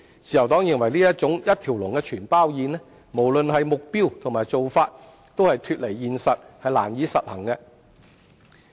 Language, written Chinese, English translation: Cantonese, 自由黨認為這種"一條龍全包宴"，無論目標還是做法均脫離現實，難以實行。, The Liberal Party considers that such a one - stop all - in - one package is detached from reality both in terms of its objectives and approach and its implementation will be difficult